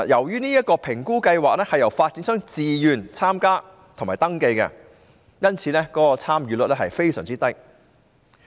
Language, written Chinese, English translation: Cantonese, 這評估計劃由發展商自願參加及登記，因此參與率非常低。, The assessment scheme is based on voluntary participation and registration by developers and thus the participation rate is very low